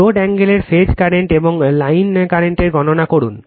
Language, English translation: Bengali, Calculate that phase currents of the load angle and the line currents right